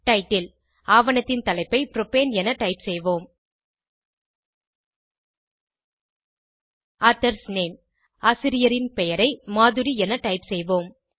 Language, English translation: Tamil, Title Lets type the title of the document as Propane Authors Name lets type authors name as Madhuri